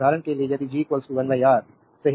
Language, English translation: Hindi, For example, if G is equal to 1 upon R, right